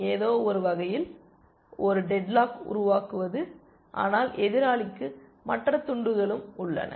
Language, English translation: Tamil, In some sense, creating the kind of a dead lock, but the opponent has other pieces also